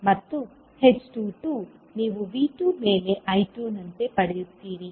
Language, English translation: Kannada, And h22 you will get as I2 upon V2